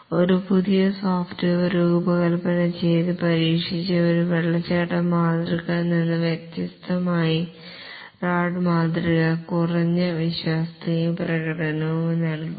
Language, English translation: Malayalam, Unlike a waterfall model where a fresh software is designed, coded and tested, the RAD model would give a lower reliability and performance